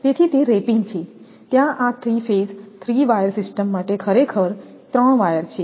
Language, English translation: Gujarati, So, wrapping is there this is actually 3 wire your for 3 phase 3 wire system